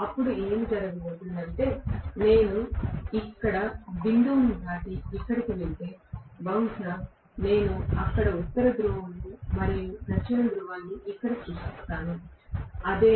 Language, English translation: Telugu, Then what will happen is if I pass dot here and cross here, maybe I will create North Pole there and South Pole here, that is it